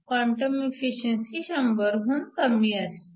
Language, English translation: Marathi, If you take the quantum efficiency to be 0